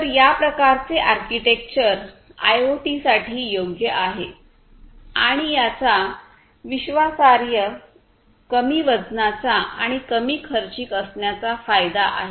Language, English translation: Marathi, So, this kind of architecture is suitable for IoT and it has the advantage of being reliable, lightweight, and cost effective